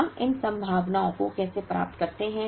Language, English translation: Hindi, How do we get these probabilities